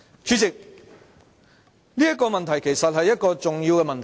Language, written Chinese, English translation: Cantonese, 主席，這是一個重要的問題。, Chairman this is an important issue